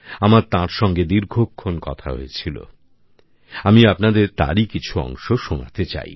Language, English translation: Bengali, I had a long chat with her, but I want you to listen to some parts of it